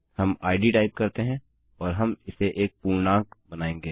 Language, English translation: Hindi, We type id and we will make this an integer